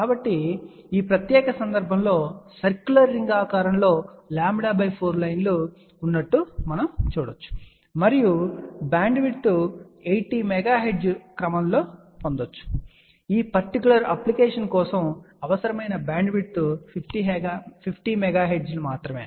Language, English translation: Telugu, So, in this particular case we can see that lambda by 4 lines are bent in circular ring shape, and the bandwidth obtained is of the order of 80 megahertz, the required bandwidth was only 50 megahertz for this particular application